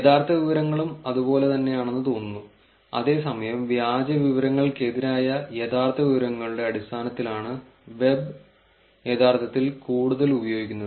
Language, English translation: Malayalam, And true information also it seems to be the same whereas the web is actually used to more in terms of the true information versus the fake information